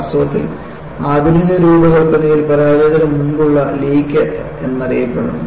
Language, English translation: Malayalam, And, in fact, in modern design you have, what is known as leak before break